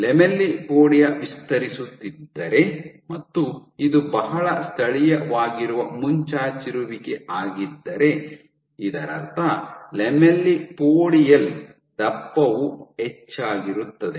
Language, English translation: Kannada, If the lamellipodia is expanding and if this protrusion is very local this would mean that the lamellipodial thickness will increase